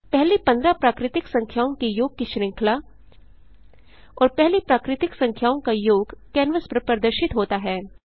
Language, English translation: Hindi, A series of sum of first 15 natural numbers and sum of first 15 natural numbers is displayed on the canvas